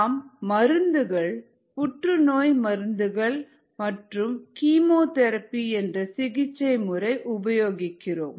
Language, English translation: Tamil, you use drugs, cancer drugs, and such a treatment is called chemotherapy